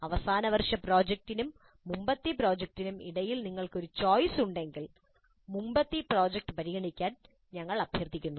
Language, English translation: Malayalam, And if you have a choice between final year project and earlier project, we request you to consider earlier project